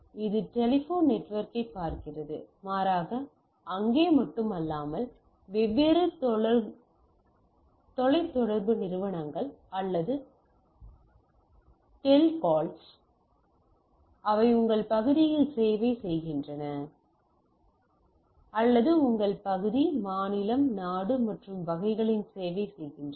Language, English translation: Tamil, What rather we see there are not only there, there can be different parties which are there right, there are different telecom companies or telcos which are in your serving in your area or serving in your region, state, country and type of things right